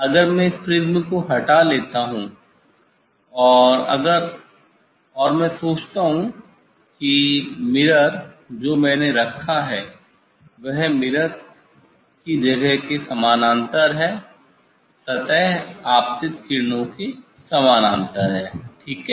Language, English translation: Hindi, if I take out this prism and if I think that, they mirror I have put that is the parallel to the mirror space, surface is parallel to the incident rays ok